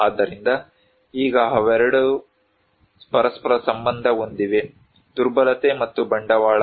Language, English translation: Kannada, So, now they both are interlinked, vulnerability, and capital